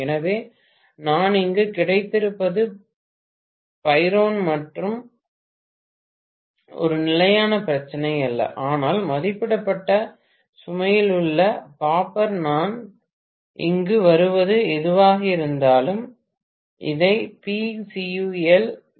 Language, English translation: Tamil, So, what I have got here I should say P iron is a constant not a problem but P copper at rated load will be whatever I am getting here, let me call this is P cu 1 or something like that, so P cu 1 divided by 0